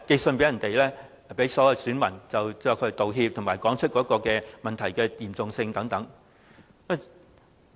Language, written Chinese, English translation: Cantonese, 是向所有選民發信道歉，以及道出問題的嚴重性等。, It is the sending of letters to electors to make an apology and to explain the seriousness of the incident and so on